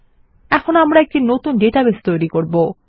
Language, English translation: Bengali, Now, well create a new database